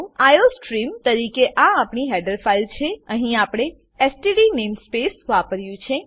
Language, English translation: Gujarati, This is our header file as iostream Here we have used std namespace